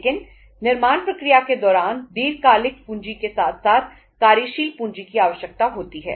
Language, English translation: Hindi, But during the manufacturing process the working capital is required along with the long term funds